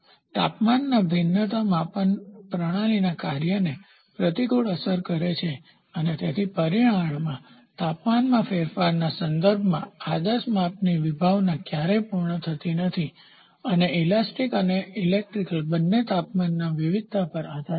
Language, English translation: Gujarati, The temperature variation adversely affect the operation of the measuring system and hence the concept of ideal measurement has never been completely achieved with respect to temperature change in the dimension and physical properties both elastic and electrical are dependent on temperature variation